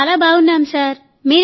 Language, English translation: Telugu, We are very good sir